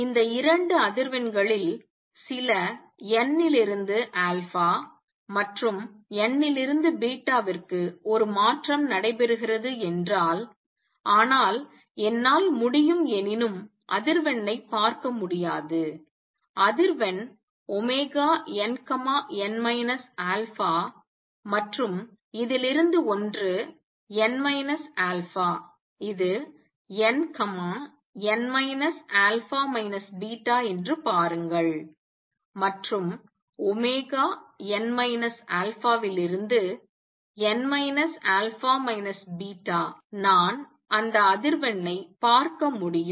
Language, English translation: Tamil, If there is a transition taking place from n to alpha and n to beta this will be the some of these two frequencies, but I cannot see the frequency the frequency that I can however, see is frequency omega n, n minus alpha and one from this is n minus alpha this is n, n minus alpha minus beta and one which is omega n minus alpha to n minus alpha minus beta I can see that frequency